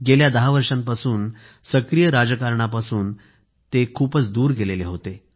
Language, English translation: Marathi, In a way, he was cutoff from active politics for the last 10 years